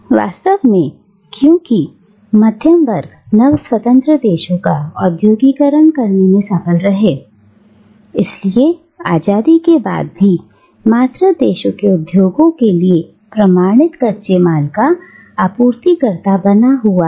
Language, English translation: Hindi, Indeed, because the middle class fails to industrialise the newly independent country, it continues to remain the supplier of unprocessed raw materials to the industries of the mother country even after independence